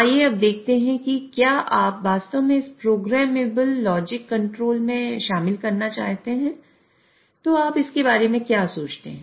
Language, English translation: Hindi, So, let us now see if you really want to incorporate this into programmable logic control, how do you go about it